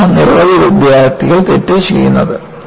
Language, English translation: Malayalam, See, this is where, many students make a mistake